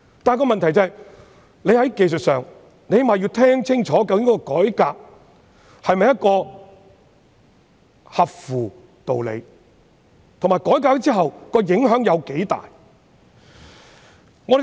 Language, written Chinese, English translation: Cantonese, 不過問題是，我們最少要清楚知道，究竟有關改革是否合理，以及在改革之後，影響有多大。, However the question is that we at least need to clearly know whether the reform concerned is reasonable and the extent of implications after the reform is carried out